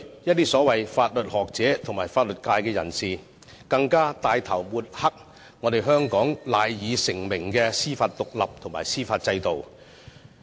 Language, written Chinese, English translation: Cantonese, 一些所謂法律學者和法律界人士，更帶頭抹黑香港蜚聲國際的獨立司法制度。, Some so - called legal scholars and members of the legal profession have even taken the lead to bad - mouth Hong Kongs independent judicial system which is renowned internationally